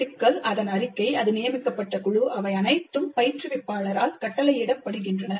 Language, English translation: Tamil, The problem, its statement, the team to which it is assigned, they're all dictated by the instructor